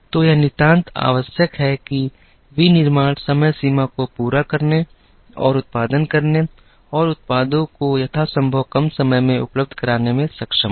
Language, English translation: Hindi, So, it is absolutely necessary that, manufacturing is able to meet the deadlines and produce and make the products available in as short a time as possible